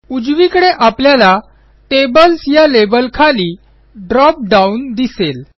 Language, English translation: Marathi, On the right side, we will see a drop down box underneath the label Tables